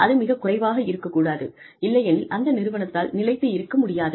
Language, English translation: Tamil, It should not be too little, so that, the organization does not survive